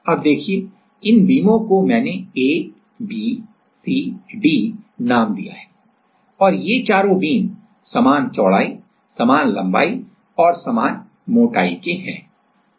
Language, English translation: Hindi, Now, see these beams I have named A B C D, this all these four beams are of same width, same length and thickness